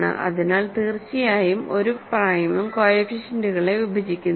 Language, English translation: Malayalam, So, certainly no prime divides the coefficients